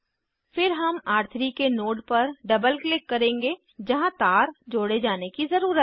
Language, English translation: Hindi, Then we will double click on the node of R3 where wire needs to be connected